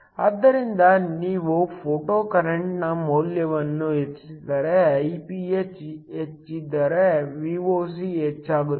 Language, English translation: Kannada, So, If you increase the value of photocurrent, so if Iph is higher, Voc will increase